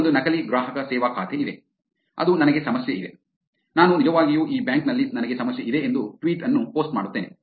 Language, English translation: Kannada, Here is one which is fake customer service accounts which is, I have a problem I actually post a tweet saying I have problem with this bank